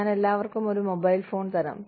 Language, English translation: Malayalam, I will give everybody, a cell phone